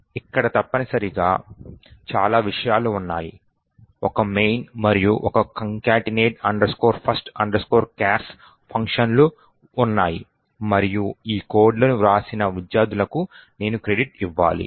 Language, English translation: Telugu, C and there is essentially, did a lot of things, there was a main and there was a concatenate first chars function and I have to give credit to the students who wrote this codes